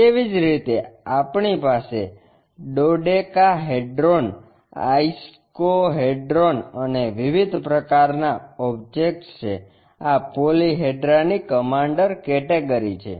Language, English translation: Gujarati, Similarly, we have dodecahedron, icosahedrons and different kind of objects, these are commander category of polyhedra